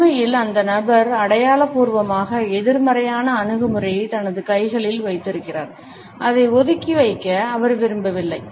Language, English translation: Tamil, In fact, the person is figuratively holding the negative attitude in his hands and his unwilling to leave it aside